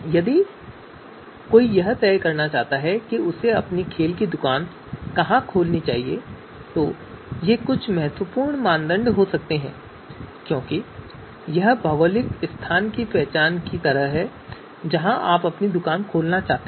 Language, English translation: Hindi, So if someone is looking to decide you know where they should open their sports shop, then you know these could be important criteria because this is like a identification of you know geographical location where you know you would like to open your shop